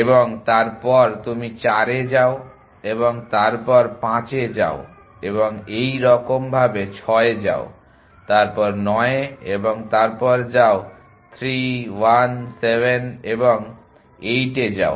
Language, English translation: Bengali, And you go to 4 and you go to 5 and you go to 6 and you go to 9 go to 3 1 7 and 8